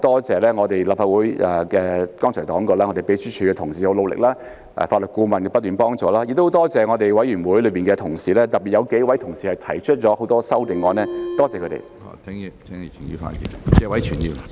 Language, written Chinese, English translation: Cantonese, 這次當然我很多謝立法會秘書處同事的努力，法律顧問的不斷幫助，亦很多謝委員會的同事，特別有幾位同事提出很多修正案，多謝他們。, This time certainly I very much thank colleagues of the Legislative Council Secretariat for their hard work and legal advisors for their unrelenting help . My thanks also go to colleagues in the committee especially the several colleagues who have proposed many amendments . I am grateful to them